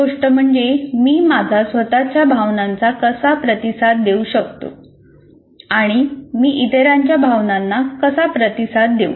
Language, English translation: Marathi, And so one of the thing is how do I respond to my own emotions and how do I respond to the others emotions